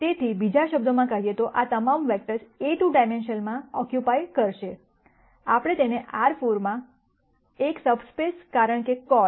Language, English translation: Gujarati, So, in other words all of these vectors would occupy a 2 dimensional, what we call as a subspace in R 4 right